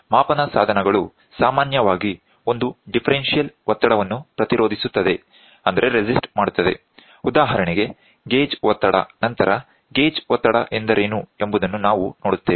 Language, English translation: Kannada, Measuring devices usually resist a differential pressure, for example, gauge pressure we will see what is gauge pressure later